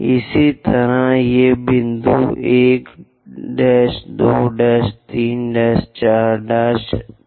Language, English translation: Hindi, So, this is the way 1, 2, 3, 4, 5